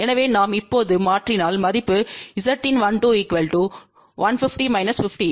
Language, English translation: Tamil, So, if we now substitute the value Z in 1 2 is 150 minus 50